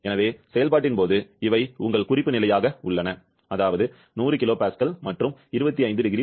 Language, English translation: Tamil, So, during the process we have these as your reference state; 100 kilo Pascal and 25 degree Celsius